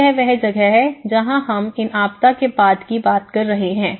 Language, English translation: Hindi, So that is where, we talk about these post disaster